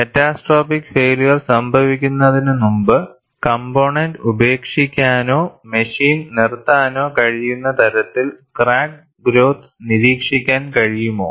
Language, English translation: Malayalam, Is it possible to monitor crack growth, so that one can discard the component or stop the machine before catastrophic failure can occur